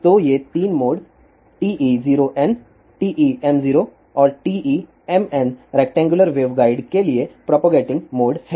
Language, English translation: Hindi, So, these 3 modes TE 0 n TE m 0 and TEM n are the propagating modes for rectangular waveguide